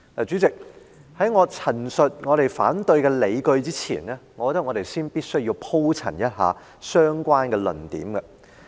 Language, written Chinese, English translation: Cantonese, 主席，在我陳述我們反對的理據之前，我認為我必須先鋪陳一下相關的論點。, President before enunciating the rationale for my opposition I consider that I should elaborate on the relevant arguments